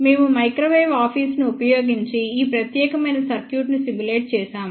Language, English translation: Telugu, We have simulated this particular circuit using microwave office